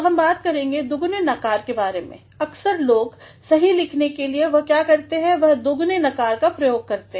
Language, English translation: Hindi, So, we shall also be talking about the double negatives, sometimes people, in order to write correctly what they do is, they make use of double negatives